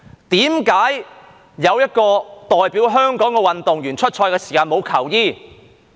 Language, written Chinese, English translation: Cantonese, 為何有一個代表香港的運動員出賽時沒有球衣？, Why does an athlete representing Hong Kong not have a jersey for taking part in the competition?